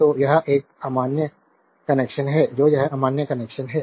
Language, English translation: Hindi, So, this is an invalid connection so, this is invalid connection